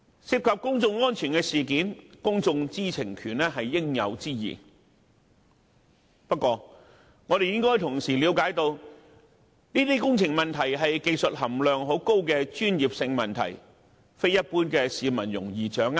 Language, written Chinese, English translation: Cantonese, 涉及公眾安全的事件，公眾知情權是應有之義，但我們亦應明白，這些工程問題屬技術含量很高的專業性問題，一般市民並不容易掌握。, While it is justified for people to have the right to know about any incident involving public safety we understand that the problems involved are highly technical and professional in nature and the general public may not be able to grasp easily